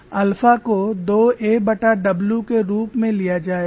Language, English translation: Hindi, Alpha is defined as 2 a divided by w